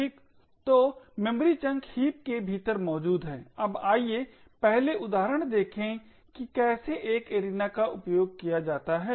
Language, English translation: Hindi, So the memory chunks are present within the heap, now let us 1st look of an example of how an arena is used